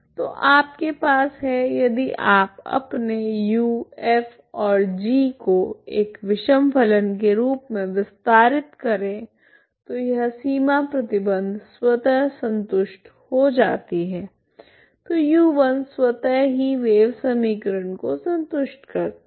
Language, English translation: Hindi, So you have if you extend this your U F and G as an odd function this boundary condition is automatically satisfied, then U1 is automatically satisfy the wave equation